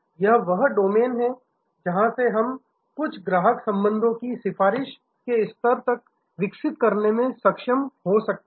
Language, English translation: Hindi, This is the domain from where we may be able to develop some customer relationships to the level of advocacy